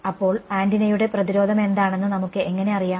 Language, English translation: Malayalam, So, how do we know what is the impedance of the antenna